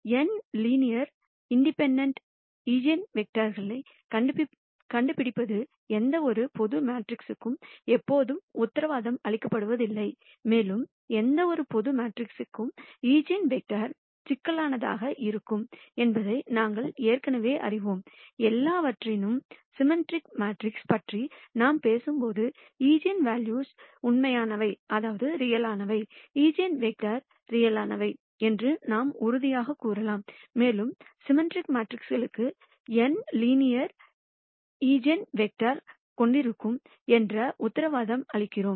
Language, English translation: Tamil, So, finding n linearly independent eigenvectors is not always guaranteed for any general matrix and we already know that eigenvectors could be complex for any general matrix; however, when we talk about symmetric matrices, we can say for sure that the eigenvalues would be real, the eigenvectors would be real, further we are always guaranteed that we will have n linearly independent eigenvectors for symmetric matrices